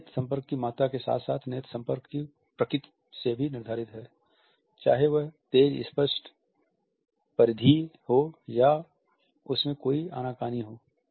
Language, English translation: Hindi, That is the amount of eye contact as well as the nature of eye contact, whether it is sharp, clear, peripheral or whether there is an avoidance